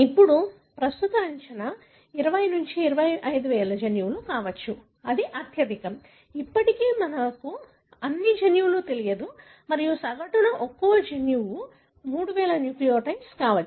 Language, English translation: Telugu, Now, the current estimate is may be 20 – 25 thousand genes; that is the maximum, still we do not know all the genes and on average per gene it could be 3000 nucleotide and so on So, what we also know is that it could be 99